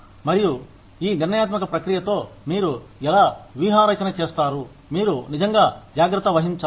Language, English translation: Telugu, And, how do you strategize with this decision making process, is something that, you really need to take care of